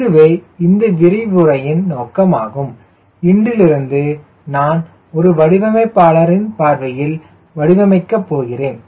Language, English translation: Tamil, so that is was the purpose of this lecture today, to warm you up, that now we are going to use this through a designers perspective